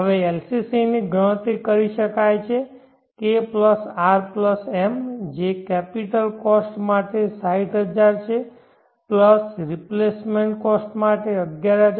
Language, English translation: Gujarati, Now LCC can be calculated K + R + M which is 60000 for capital cost + 11566